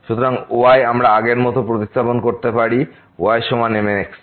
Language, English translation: Bengali, So, y we can substitute as earlier, is equal to